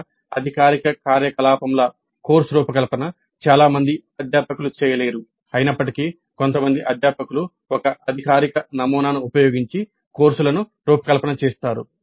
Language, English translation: Telugu, Course design as a formal activity probably is not done by many faculty though some faculty do design the courses using a formal model but it may not be that commonly practiced in major of the institutes